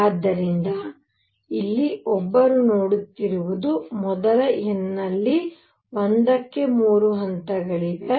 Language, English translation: Kannada, So, what one is seeing here is that in the first n equals 1 there are 3 levels